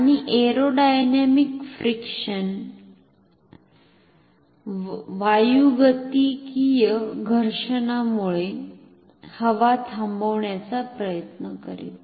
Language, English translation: Marathi, And the air will due to aerodynamic friction will try to stop it